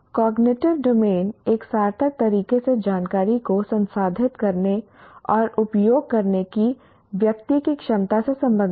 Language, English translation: Hindi, Cognitive domain deals with a person's ability to process and utilize information in a meaningful way